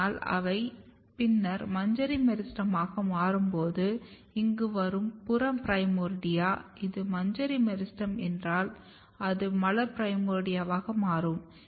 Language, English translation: Tamil, But when they become inflorescence meristem then, same peripheral primordia or the peripheral primordia which is coming here; if this is inflorescence meristem it will become floral primordia